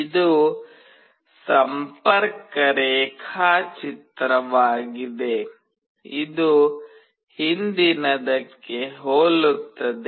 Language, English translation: Kannada, This is the connection diagram, which is very similar to the previous one